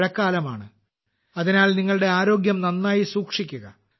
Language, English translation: Malayalam, It is the seasons of rains, hence, take good care of your health